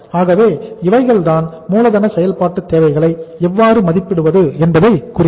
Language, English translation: Tamil, So this is all about how to assess the working capital requirements